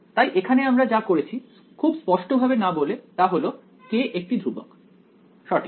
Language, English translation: Bengali, So, here what we did without really being very explicit about is that k is a constant right